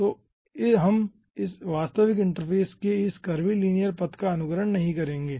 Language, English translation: Hindi, okay, so we we will not be imitating this curve, linear path of the actual interface